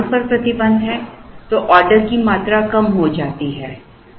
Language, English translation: Hindi, If there is a restriction on the space the order quantities come down